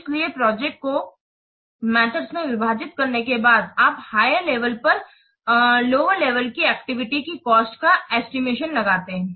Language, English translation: Hindi, So, after breaking the projects into activities, smaller activities, then you estimate the cost for the lowest level activities